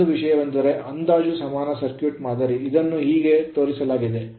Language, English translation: Kannada, So, another thing is the approximate circuit model approximate circuit model is shown like this